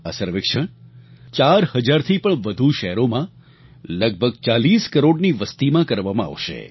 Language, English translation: Gujarati, This survey will cover a population of more than 40 crores in more than four thousand cities